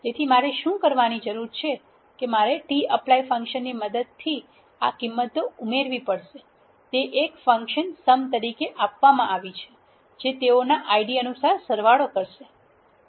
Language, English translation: Gujarati, So, what I need to do is tapply I want to add this values the adding is given here as a function which is sum according to the Id they belong to